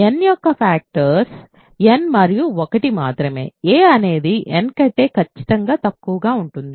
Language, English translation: Telugu, The only factors of n are n and 1, a is strictly less than n